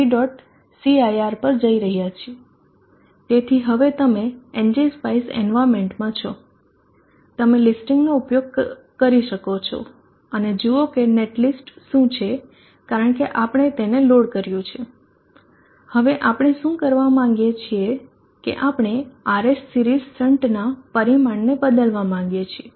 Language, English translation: Gujarati, So now open the terminal window going to ng spice VV dot c area so now you are in the ng spice environment you can use listing and see what is the net list as we are that have been loaded, now what we want to do is we want to change the parameter of the RS per series resistance